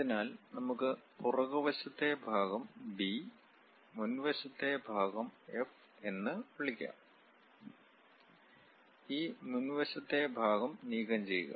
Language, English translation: Malayalam, So, let us call back side part B, front side part F; remove this front side part